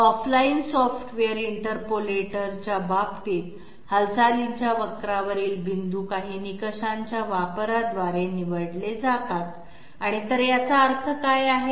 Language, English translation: Marathi, So in case of off line software interpolators, the point on the curve of movement are selected through the application of some criteria, so what do we mean by that